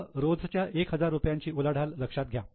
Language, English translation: Marathi, Just calculate daily turnover of thousand rupees